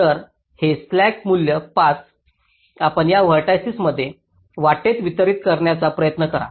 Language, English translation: Marathi, so this slack value of five you try to distribute among these vertices along the path